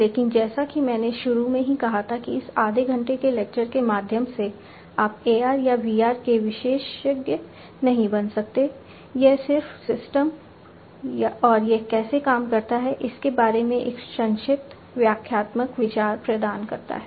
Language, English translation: Hindi, But as I said at the outset that you know through this you know, half an hour lecture you cannot become an expert of AR or VR right this is just to get a brief expository idea about how the systems work and what is in there